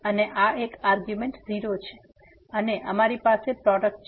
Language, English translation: Gujarati, And this one argument is 0 and we have the product